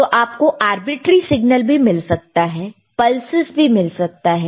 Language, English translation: Hindi, So, arbitrary signal you can have, if pulses you have